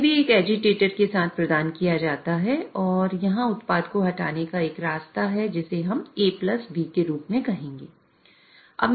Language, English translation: Hindi, It also is provided with an agitator and there is a way to remove the product which we will call as A plus B